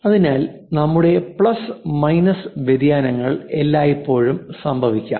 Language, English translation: Malayalam, So, based on that your plus and minus variations always happen